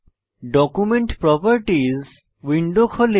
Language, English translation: Bengali, Document Properties window opens